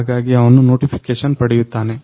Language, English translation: Kannada, So, he will get the notification